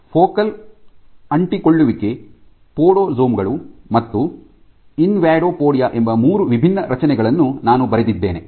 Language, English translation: Kannada, So, I have just jotted down three different structures called focal adhesions podosomes and invadopodia